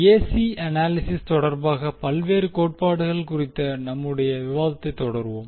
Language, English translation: Tamil, So we will continue our discussion on various theorems with respect to AC analysis